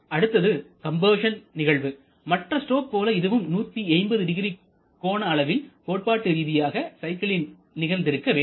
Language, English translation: Tamil, Next is compression, compression like others you should cover 1800 as for a theoretical cycle